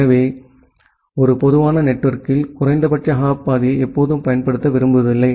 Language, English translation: Tamil, So, that is why in a typical network we do not always prefer to use the minimum hop path